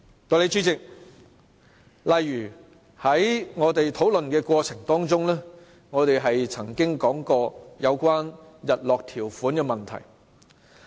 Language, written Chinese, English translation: Cantonese, 代理主席，在討論的過程中，我們曾經提到有關日落條款的問題。, Deputy President during our discussion we once raised the issue of a sunset clause